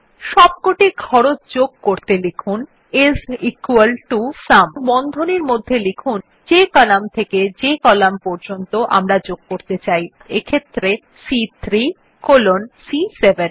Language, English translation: Bengali, In order to add all the costs, well typeis equal to SUM and within braces the range of columns to be added,that is,C3 colon C7